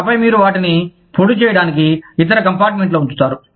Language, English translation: Telugu, And then, you would put them, in the other compartment to dry